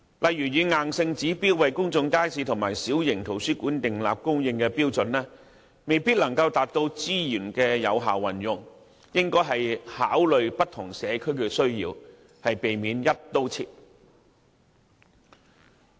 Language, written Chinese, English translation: Cantonese, 例如硬性就開設公眾街市和小型圖書館訂立指標，未必能夠達到資源有效運用，應考慮不同社區的需要，避免"一刀切"。, For instance if a rigid requirement is set for the provision of public markets and small libraries it may result in the inefficient use of resources . Instead of taking a sweeping approach the Government should consider the need of individual communities